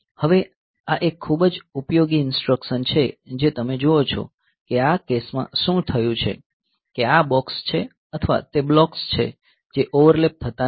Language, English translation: Gujarati, Now this is a very useful instruction you see that so, this is in this case what has happened is that I this box is the or the blocks they are not overlapping